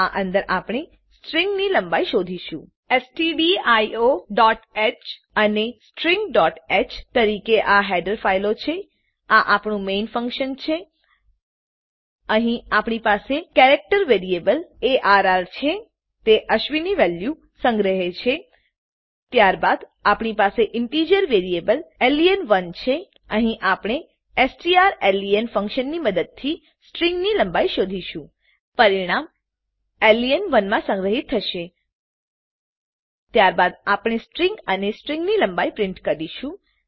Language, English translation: Gujarati, This is our main function Here we have a character variable arr, It stores a value Ashwini Then we have an integer variable len1 Here we will find the lenght of the string using strlen function The result will be stored in len1 Then we print the string and the length of the string